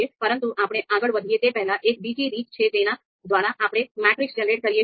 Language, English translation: Gujarati, So before we move ahead, there is another way through which we can generate matrix